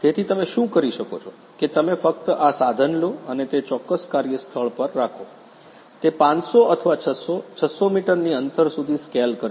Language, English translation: Gujarati, So, what you can do is you simply take this equipment and place at that particular workplace, it will scale up to 500 or 600; 600 meter distance